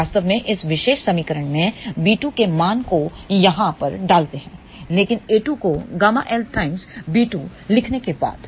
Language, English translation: Hindi, We actually put this value of b 2 in this particular equation over here, but after we write a 2 equal to gamma L b 2